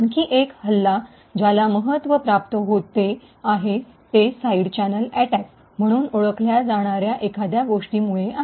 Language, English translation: Marathi, Another attack which is gaining quite importance is due to something known as Side Channel Attacks